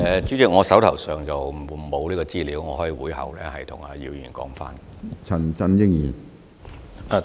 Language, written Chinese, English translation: Cantonese, 主席，我手上並無這方面的資料，我可在會後向姚議員提供。, President I do not have the relevant information on hand . I could provide Mr YIU with the information after the meeting . Appendix I